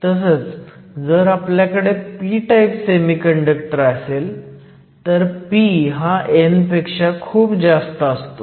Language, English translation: Marathi, If you have an n type semiconductor, n is typically much larger than p